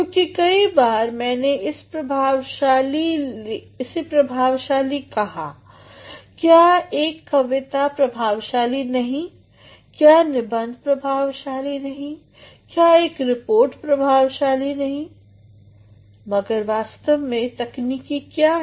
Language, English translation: Hindi, Because time and again I have been calling effective is the poem not effective, is an essay not effective, is a report not effective, but what actually are the technicalities